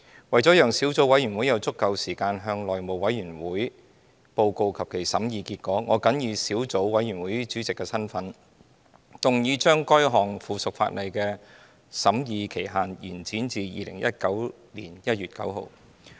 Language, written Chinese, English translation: Cantonese, 為了讓小組委員會有足夠時間向內務委員會報告其審議結果，我謹以小組委員會主席的身份，動議將該項附屬法例的審議期限延展至2019年1月9日。, To allow sufficient time for the Subcommittee to report its deliberations to the House Committee I move in my capacity as Chairman of the Subcommittee that the scrutiny period of the subsidiary legislation be extended to 9 January 2019